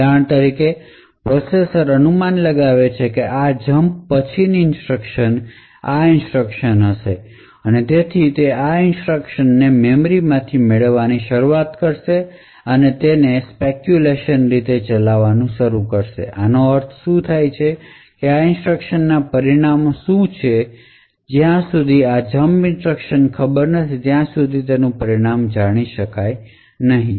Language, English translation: Gujarati, For example the processor would speculate that the instructions following this jump would be the consecutive instructions and therefore it will start to fetch these instructions from the memory and start to execute them in a speculative manner, what this means is that the results of these instructions are not committed unless and until the result of this jump instruction is known